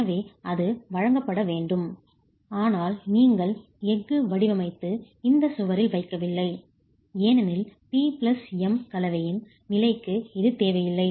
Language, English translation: Tamil, But you are not designing steel and placing it in this wall because it is not required for the level of P plus M combination